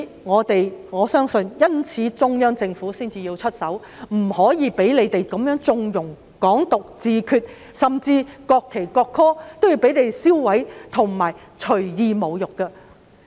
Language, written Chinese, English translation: Cantonese, 我相信中央政府是因為這樣才出手，不能夠再讓他們縱容"港獨"、"自決"，甚至銷毀和隨意侮辱國旗及國歌。, I believe the Central Authorities has intervened for this reason as they can no longer allow the opposition camp to condone Hong Kong independence and self - determination or even destroy and arbitrarily insult the national flag and the national anthem